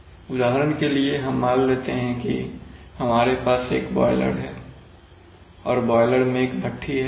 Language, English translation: Hindi, For example, let us say if you have a any kind of burner, let us say a boiler, so boiler has a furnace